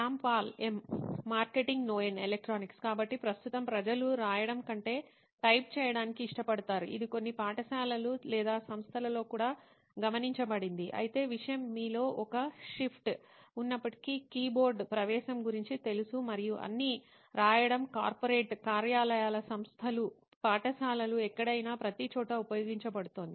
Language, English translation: Telugu, So right now there is a shift from like people are preferring typing more than writing, it has been observed in few schools or institutions as well but the thing is like even though there is a shift in you know entry of keyboard and all, writing is being used everywhere even in corporate offices, institutions, schools, anywhere